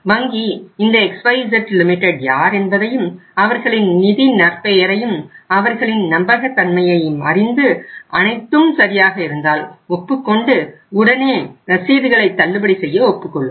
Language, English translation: Tamil, Bank would like to know who is this XYZ Limited and if their financial reputation, their credibility is found okay, acceptable to the bank in that case bank would immediately agree to discount the bills